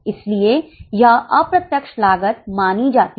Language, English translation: Hindi, That's why it is considered as indirect costs